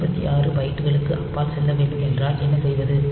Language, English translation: Tamil, So, what about if you need to jump beyond say 256 bytes